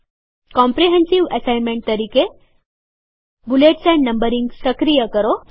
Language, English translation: Gujarati, COMPREHENSIVE ASSIGNMENT Activate bullets and numbering